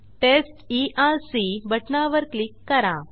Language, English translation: Marathi, Click on Test Erc button